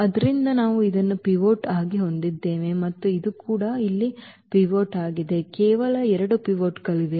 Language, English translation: Kannada, So, we have this one as a pivot and this is also pivot here, only there are two pivots